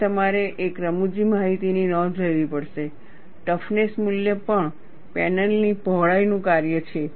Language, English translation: Gujarati, And you have to note a funny information, the toughness value is also a function of panel width